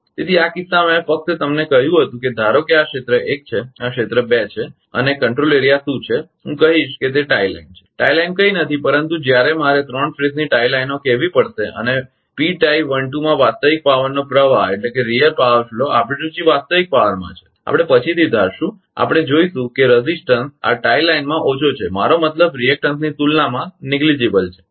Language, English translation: Gujarati, So, in this case just I told you suppose this is area one this is area two and what is control area I will say if it is the tie line, tie line is nothing, but a when I have to call three phase tie lines and the real power flow in P tie one two our our inter system of real power we assume later we will see that this tie line in the resistance is ah less I mean negligible compared to the reactance